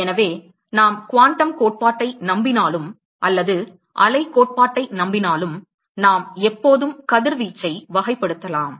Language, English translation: Tamil, So, whether we believe in the quantum theory or the wave theory we can always characterize radiation